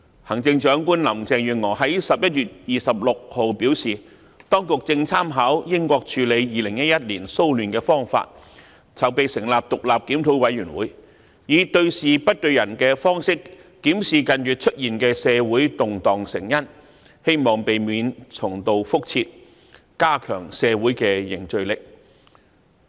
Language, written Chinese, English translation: Cantonese, 行政長官林鄭月娥在11月26日表示，當局正參考英國處理2011年騷亂的方法，籌備成立獨立檢討委員會，以對事不對人的方式，檢視近月出現的社會動盪成因，希望避免重蹈覆轍，加強社會凝聚力。, On 26 November Chief Executive Carrie LAM said that the authorities were drawing reference from the practice of the United Kingdom in handling the disturbances in 2011 . They were preparing to set up an independent review committee to review the causes for the social unrest in these months targeting on the facts and not individuals in the hope that mistakes will not be repeated and solidarity of society will be strengthened